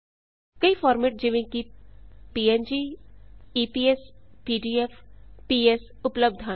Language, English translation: Punjabi, Formats like png ,eps ,pdf, ps are available